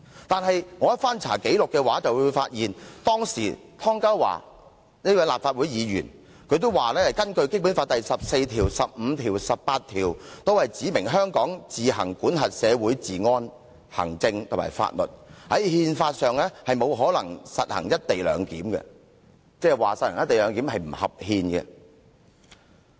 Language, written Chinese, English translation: Cantonese, 但我翻查紀錄後發現，當時仍是立法會議員的湯家驊亦表示，《基本法》第十四條、第十五條和第十八條均訂明，香港自行管轄社會治安、行政和法律，因此，在憲法上，不可能實行"一地兩檢"，即是實行"一地兩檢"是違憲的。, He said that Articles 14 15 and 18 of the Basic Law all provide that Hong Kong shall be responsible for its own public order administration and laws . So he said that the adoption of co - location clearance was out of the question constitutionally . In other words co - location clearance is unconstitutional